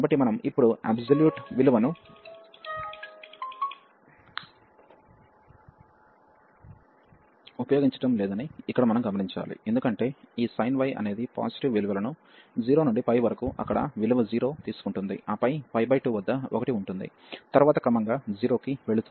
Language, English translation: Telugu, So, here we should note that we have we are not using now the absolute value, because the this sin y is will take positive values from 0 to pi takes value 0 there, and then at pi by 2 1, and then gradually goes to 0